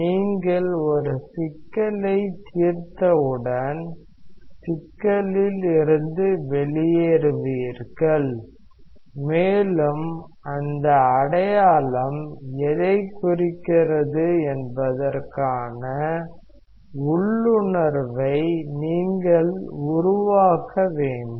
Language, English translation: Tamil, Once you solve a problem, you get a sign out of the problem, and you should develop an intuition of what that sign implies